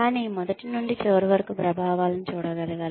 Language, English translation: Telugu, But, one should be able to see the effects, from beginning to end